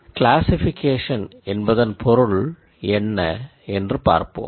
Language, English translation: Tamil, So, let us look at what classification means